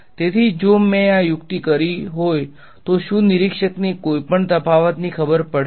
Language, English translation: Gujarati, So, if I did this trick will observer to know any difference